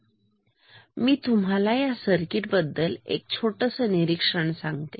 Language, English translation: Marathi, Now, let me just tell you a small observation about the this circuit